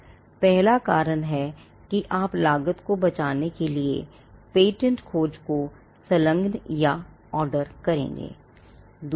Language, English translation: Hindi, The first reason why you would engage or order a patentability search is to save costs